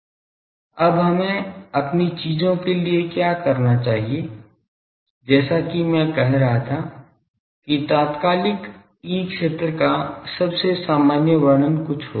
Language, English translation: Hindi, Now, what we require for our things is as I was saying that most general description of an instantaneous E field will be something